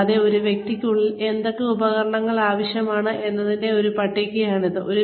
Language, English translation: Malayalam, And, it is a list of, what the tools required within a person